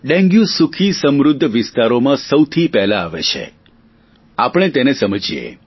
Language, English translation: Gujarati, Dengue first enters affluent localities and we should try and understand it